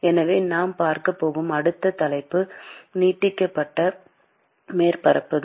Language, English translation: Tamil, So, the next topic that we are going to see is extended surfaces